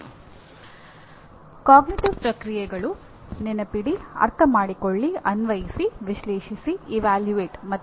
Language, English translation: Kannada, And cognitive processes are Remember, Understand, Apply, Analyze, Evaluate, and Create